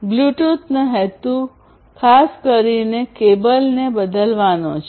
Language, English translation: Gujarati, Bluetooth is particularly aimed at replacing the cables